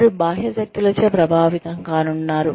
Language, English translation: Telugu, They are going to be influenced by external forces